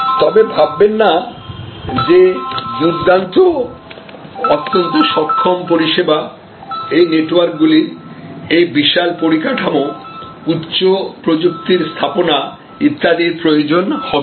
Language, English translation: Bengali, However, do not think that excellent, highly capable service networks necessarily need this huge infrastructure, deployment of high technology and so on